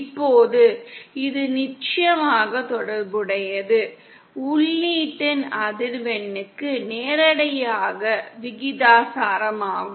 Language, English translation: Tamil, Now this of course is related to the, is directly proportional to the frequency of input